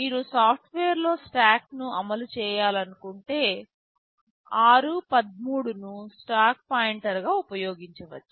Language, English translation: Telugu, There is no stack, but r13 is earmarked as the stack pointer